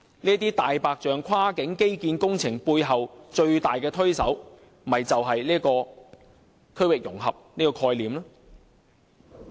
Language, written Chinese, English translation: Cantonese, 這"大白象"跨境基建工程背後最大的推手，正是區域融合這概念。, The concept of regional integration is precisely the biggest force to push such a white elephant cross - boundary infrastructure project